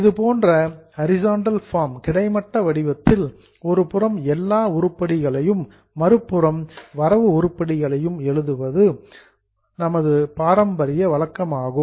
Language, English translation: Tamil, This is a traditional way of writing it in a horizontal form on debit on one side and credit on one other side